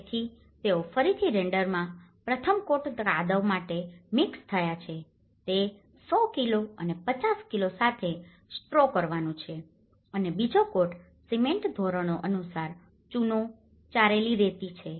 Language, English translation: Gujarati, So, in render again they have mixed about first coat mud is to straw with 100 kg and 50 kg and second coat cement is to lime, sand or sieved soil as per the standards